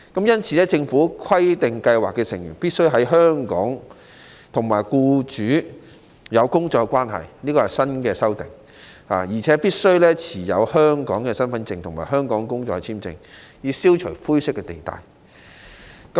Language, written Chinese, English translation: Cantonese, 因此，《條例草案》規定計劃成員必須在香港與僱主有僱傭關係，而且必須持有香港身份證或香港工作簽證，以消除灰色地帶。, Therefore the Bill requires that scheme members must be in employment relationship with employers in Hong Kong and must be holders of Hong Kong Identity Cards or Hong Kong employment visas so as to remove grey areas